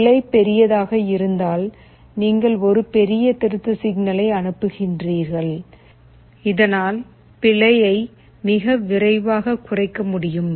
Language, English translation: Tamil, If the error is large you send a larger corrective signal so that that the error can be reduced very quickly